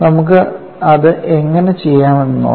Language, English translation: Malayalam, Let us see how we can do it